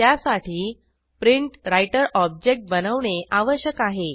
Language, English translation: Marathi, For that, we will have to create a PrintWriter object